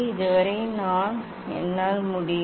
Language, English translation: Tamil, up to this I can